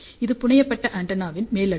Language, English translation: Tamil, So, this is the top layer of the fabricated antenna